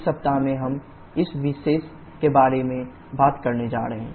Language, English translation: Hindi, In this week we are going to talk about this particular one